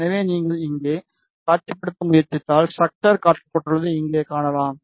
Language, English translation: Tamil, So, if you try to visualize here, you can see this here the structure is shown